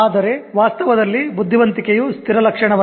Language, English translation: Kannada, Whereas in truth, intelligence is not a fixed right